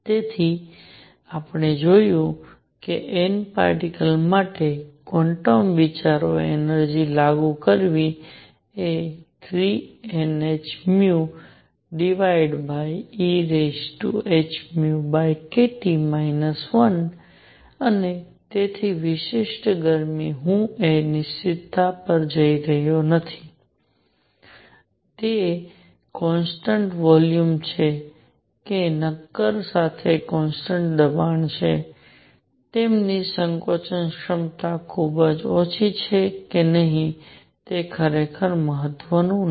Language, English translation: Gujarati, So, we found applying quantum ideas energy for N particles is going to be 3 N h nu over e raise to h nu over k T minus 1 and therefore, specific heat; I am not going to the certainties of whether it is constant volume or constant pressure for solids, it does not really matter if their compressibility is very small